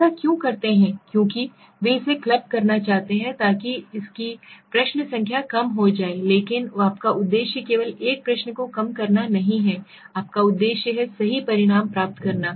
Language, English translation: Hindi, Now why do such as do such things they do it because they want to club it, so that the number of questions will get reduced but your objective is not to only reduce a question your objective is to meet with the, get the right results